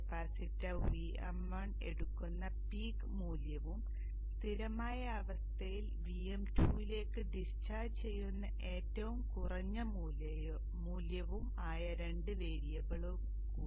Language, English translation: Malayalam, Two more variables which is the peak value that the capacitor will take VM1 and the minimum value it will discharge to VM2 in the steady state